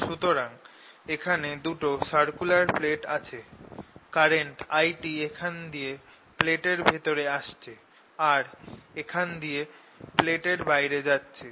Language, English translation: Bengali, so here is the circular plate, here is the other circular plate current i is coming in, i t and its going out